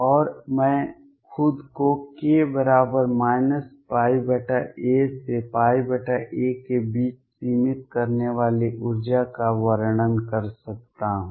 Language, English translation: Hindi, And I can describe the energy confining myself to between k equals minus pi by a to pi by a